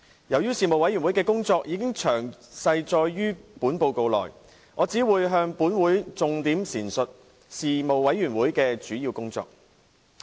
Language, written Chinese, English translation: Cantonese, 由於事務委員會的工作已詳細載述在報告內，我只會向本會重點闡述事務委員會的主要工作。, Since the Panels work is already detailed in the report I will only highlight the major work of the Panel to this Council